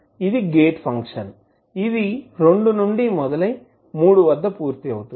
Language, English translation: Telugu, This is a gate function which starts from two and completes at three